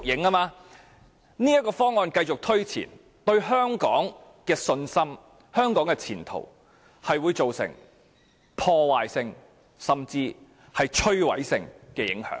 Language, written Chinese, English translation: Cantonese, 若這項方案繼續推前，會對香港市民的信心和香港的前途帶來破壞性甚至是摧毀性的影響。, If this proposal is taken forward it will do detrimental and even destructive harm to public confidence and the future of Hong Kong